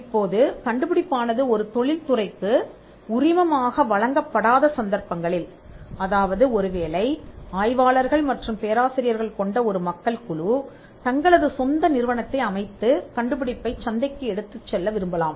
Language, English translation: Tamil, Now, in cases where the invention is not licensed to an industry rather there are group of people probably a team of professors and researchers, who now want to set up their own company and then take it to the market